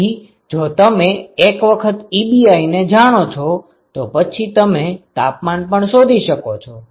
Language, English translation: Gujarati, So, once you know Ebi from here you can find temperature that is it